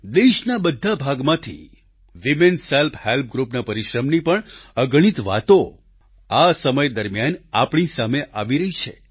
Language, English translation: Gujarati, Numerous stories of perseverance of women's self help groups are coming to the fore from all corners of the country